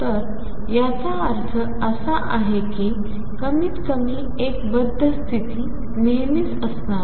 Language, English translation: Marathi, So, this means at least one bound state is always going to be there